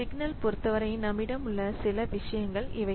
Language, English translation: Tamil, So there are different signals that we have